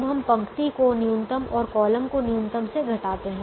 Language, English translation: Hindi, now we subtract the row minimum and the column minimum